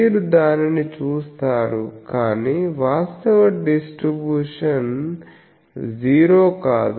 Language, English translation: Telugu, So, you see that, but that actual distribution that is not zero